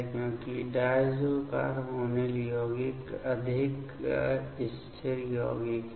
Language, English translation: Hindi, Because, the diazo carbonyl compounds are more stable compounds